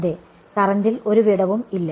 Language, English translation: Malayalam, There is no break in the current yeah